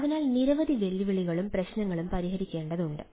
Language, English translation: Malayalam, several challenges and issues need to be addressed